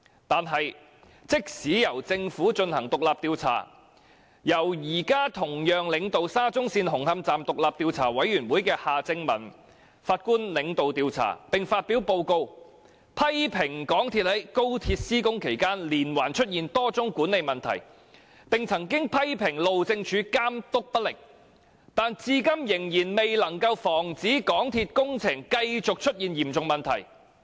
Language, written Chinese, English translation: Cantonese, 然而，即使由政府進行獨立調查，由現時同樣領導沙中線紅磡站獨立調查委員會的夏正民法官領導調查，並發表報告批評港鐵公司在高鐵施工期間連環出現多宗管理問題，以及批評路政署監督不力，但至今仍未能防止港鐵公司的工程出現嚴重問題。, However even though the Government conducted the independent inquiry led by Mr Justice Michael John HARTMANN and published a report criticizing a spate of management problems of MTRCL that occurred during the construction of XRL and the lax supervision by the Highways Department HyD to this day it still fails to prevent serious problems from arising in the construction projects of MTRCL